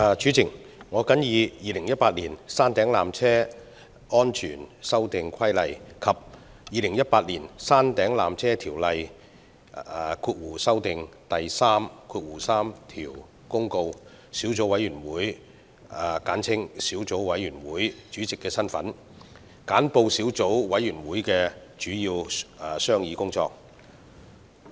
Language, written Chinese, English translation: Cantonese, 主席，我謹以《2018年山頂纜車規例》及《2018年山頂纜車條例條)公告》小組委員會主席的身份，簡報小組委員會的主要商議工作。, President in my capacity as Chairman of the Subcommittee on Peak Tramway Safety Amendment Regulation 2018 and Peak Tramway Ordinance Notice 2018 I would like to report on the major deliberations of the Subcommittee